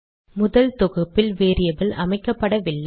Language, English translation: Tamil, On first compilation, this variable is not assigned